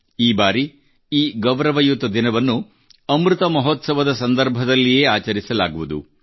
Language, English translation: Kannada, This time this pride filled day will be celebrated amid Amrit Mahotsav